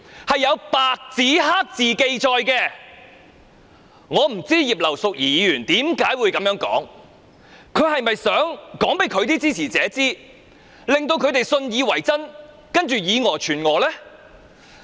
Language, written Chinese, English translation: Cantonese, 我不知道葉劉淑儀議員何以會這樣說，她是否想藉此告訴她的支持者，讓他們信以為真，再以訛傳訛？, I wonder why Mrs Regina IP could make such a remark . By making such a remark did she want to convince her supporters so that they would relay the erroneous message?